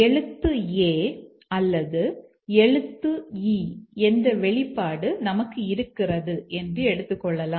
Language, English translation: Tamil, Let's say we have a expression like character is A or character is E